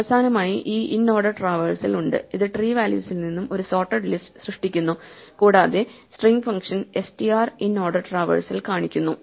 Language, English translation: Malayalam, Finally, we have this inorder traversal which generates a sorted list from the tree values and the str function just displays the inorder traversal